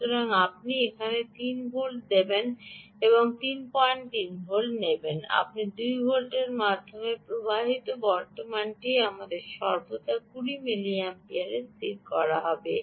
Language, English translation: Bengali, so whether you give here three volts, or whether you give three point three volts, or whether you give two volts, ah, the current flowing through this, we will always be fixed at twenty milliamperes